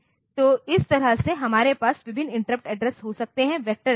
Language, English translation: Hindi, So, that way we can have different interrupt addresses the vector addresses